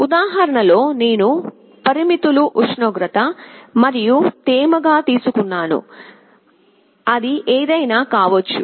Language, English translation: Telugu, In the example, I took the parameters as temperature, humidity, it can be anything